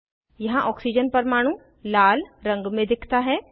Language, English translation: Hindi, Oxygen atom is seen in red color here